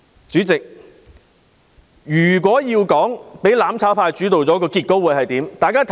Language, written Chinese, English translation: Cantonese, 主席，如果"攬炒派"主導議會，結果會如何？, Chairman what will be the results if the mutual destruction camp dominates the Council?